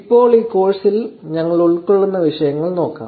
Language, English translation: Malayalam, Now, let us look at topics that we will cover over this course